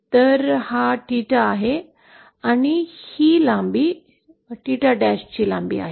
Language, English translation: Marathi, So this is theta and this length is theta length